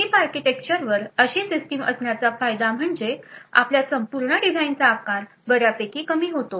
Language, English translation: Marathi, Now the advantage of having such a System on Chip architecture is that a size of your complete design is reduced considerably